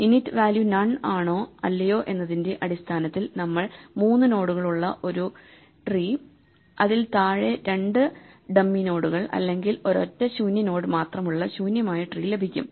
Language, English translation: Malayalam, So, depending on that the init values none or not none we end up either a tree with three nodes with two dummy nodes below or a single empty node denoting the empty tree